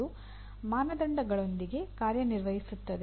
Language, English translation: Kannada, That is working with standards